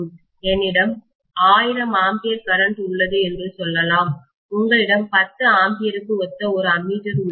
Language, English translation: Tamil, Let us say I have 1000 amperes of current, you have an ammeter only corresponding to 10 ampere